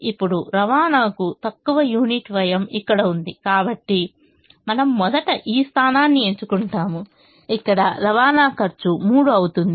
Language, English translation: Telugu, now the least unit cost of transportation is here, which is this: so we first choose this position where the unit cost of transportation is three